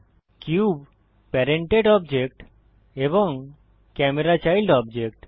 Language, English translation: Bengali, The cube is the parent object and the camera is the child object